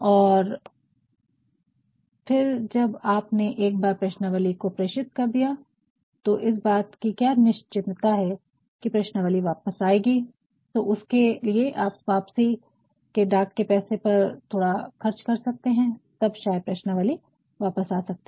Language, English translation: Hindi, And, again when you flawed the questionnaire is there a certainty that all the questionnaires will be returned, but for that you can spend a little by paying for the return postage and then questionnaires may come back